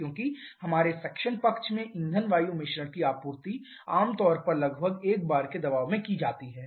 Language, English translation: Hindi, Because our suction side the fuel air mixture is generally supplied at a pressure of around 1 bar